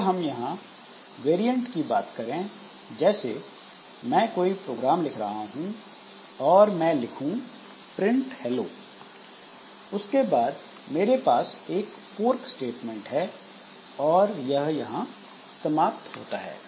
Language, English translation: Hindi, Now if we take some variants like say, suppose I am writing a program where I write like say print F hello and after that I have got a fork statement and it ends at this point